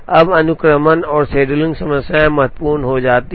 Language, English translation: Hindi, Now sequencing and scheduling problems become important